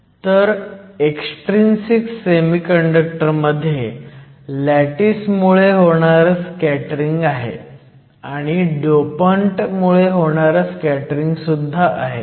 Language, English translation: Marathi, So, in the case of extrinsic semiconductors, you have scattering due to the lattice; you also have scattering due to the dopants